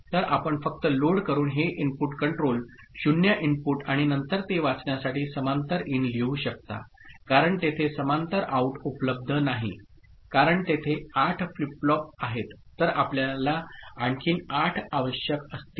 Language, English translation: Marathi, So, you can put it parallel in just by simply you know loading it using this input control input to be 0 and then for reading it, since there is no parallel out available because there are 8 flip flops then you will require another 8 output pins which is not there ok